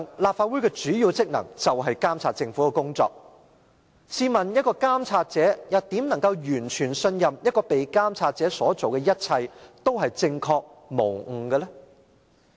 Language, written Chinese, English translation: Cantonese, 立法會的主要職能是監察政府的工作，試問監察者怎能完全信任被監察者所做的一切都是正確無誤呢？, A main function of the Legislative Council is to monitor the work of the Government so how can the monitoring party be fully convinced that the party being monitored is infallible in everything it does?